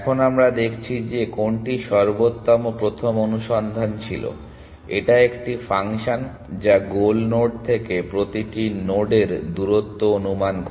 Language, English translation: Bengali, Now, we saw that what best first search use was a function which kind of estimated the distance of every node to the goal node